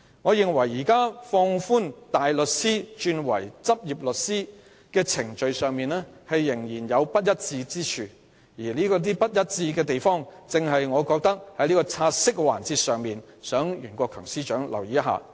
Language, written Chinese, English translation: Cantonese, 我認為現時放寬大律師轉任律師的程序上仍有不一致之處，我原本打算在"察悉議案"的辯論環節，向袁國強司長提出這一點。, I consider that there is inconsistency in the relaxed procedures for barristers becoming solicitors . I originally intended to raise this point to Secretary for Justice Rimsky YUEN during the debate session of the take - note motion